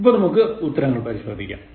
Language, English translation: Malayalam, Now, let us check your answers